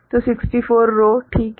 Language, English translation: Hindi, So, 64 rows right